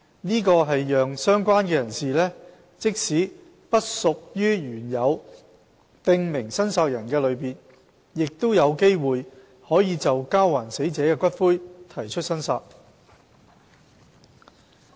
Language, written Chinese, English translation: Cantonese, 這讓"相關人士"即使不屬於原有"訂明申索人"的類別，亦有機會可就交還死者的骨灰提出申索。, This allows a related person who does not belong to any category of prescribed claimant the possibility to claim the return of ashes of the deceased